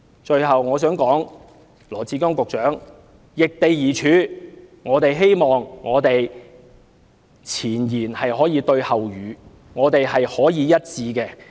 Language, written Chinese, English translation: Cantonese, 最後，我想請羅致光局長易地而處，希望前言能夠對後語，想法可以一致。, Finally I urge Secretary Dr LAW Chi - kwong to put himself in employees place and I hope that he can be consistent in his words and thoughts